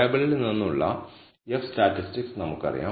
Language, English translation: Malayalam, We know that the F statistic from the table